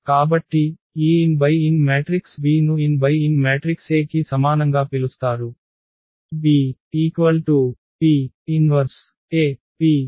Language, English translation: Telugu, So, an n cross n matrix B is called similar to an n cross n matrix A, if we have this B is equal to P inverse AP